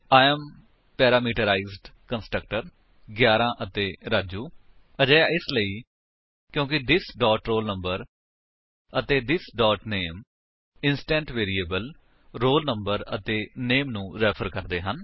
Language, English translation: Punjabi, We get the output as: I am parameterized constructor 11 and Raju This is because this dot roll number and this dot name refer to the instance variables roll number and name